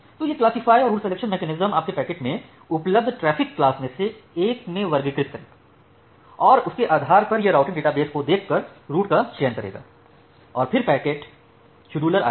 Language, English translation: Hindi, So, this classifier and the route selection mechanism it will classify your packets into one of the available traffic classes and then based on that, it will select the route by looking into the routing database then comes your packet scheduler